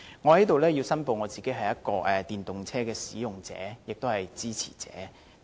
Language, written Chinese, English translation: Cantonese, 我在這裏申報，我是電動車的使用者和支持者。, I want to disclose here that I am a user and a supporter of EVs